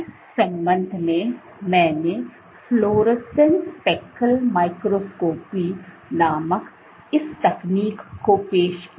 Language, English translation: Hindi, In this regard I introduced this technique called fluorescence speckle microscopy